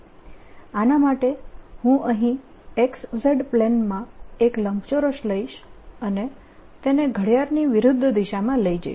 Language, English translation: Gujarati, for this i'll take a rectangle in the x, z plane here and traverse it counter clockwise